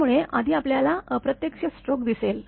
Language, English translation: Marathi, So, first we will see the indirect stroke